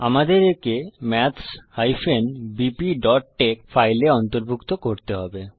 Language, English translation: Bengali, We need to include it in the file maths bp.tex